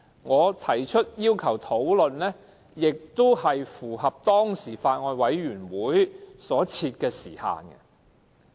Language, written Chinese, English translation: Cantonese, 我提出討論的要求，也符合法案委員會所設的時限。, My request for discussion is also in line with the time limit set by the Bills Committee